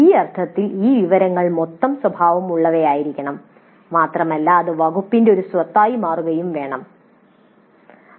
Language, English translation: Malayalam, In that sense, this information should be cumulative in nature and should become an asset of the department maintained at the department level